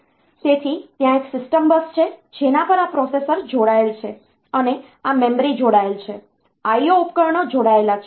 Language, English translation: Gujarati, So, there is a system bus on which this processor is connected this memory is connected I/O devices are connected